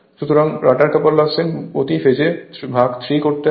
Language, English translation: Bengali, So, rotor copper loss just we have calculated 1